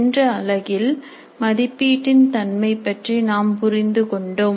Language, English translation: Tamil, In the last unit we understood the nature of assessment